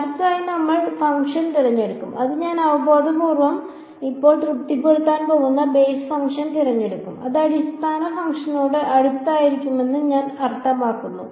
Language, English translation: Malayalam, Next we will choose the function we choose the basis function which I intuitively now is going to satisfy the I mean it is going to be close to the basis function